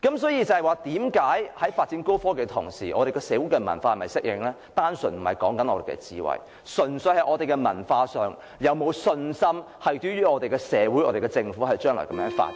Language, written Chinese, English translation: Cantonese, 所以，為何在發展高科技的同時，我們的社會文化並不一定能適應，問題不是我們的智慧，而純粹是我們在文化上，對於我們的社會和政府將來這樣發展是否有信心？, So this is why when we develop high technologies our society and culture may not necessarily be able to adapt to these developments . The problem lies not in our wisdom but purely the question of whether culturally speaking we have confidence in society and the Government in pursuing such development in the future .